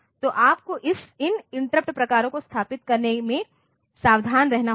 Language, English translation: Hindi, So, you have to be careful in setting these interrupt types